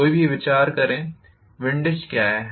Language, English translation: Hindi, Any idea, what is windage